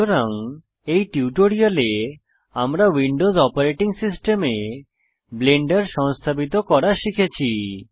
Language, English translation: Bengali, So in this tutorial, we have learnt how to install Blender on a Windows operating system